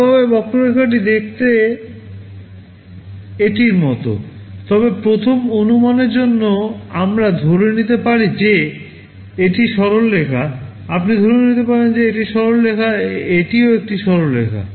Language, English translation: Bengali, Well the curve looks like this, but to a first approximation we can assume that these are straight lines, you can assume that this is straight line, this is also a straight line